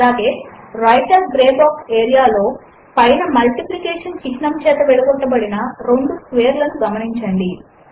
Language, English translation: Telugu, Also in the Writer gray box area at the top, notice two squares separated by the multiplication symbol